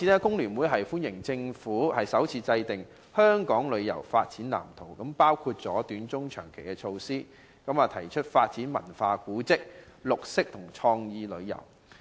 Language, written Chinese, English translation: Cantonese, 工聯會歡迎政府首次制訂"香港旅遊業發展藍圖"，涵蓋短、中、長期的措施，並提出發展文化、古蹟、綠色旅遊及創意旅遊。, FTU welcomes the Governments formulation for the first time of the Development Blueprint for Hong Kongs Tourism Industry which sets out short - medium - to long - term initiatives and proposes the development of cultural tourism heritage tourism green tourism and creative tourism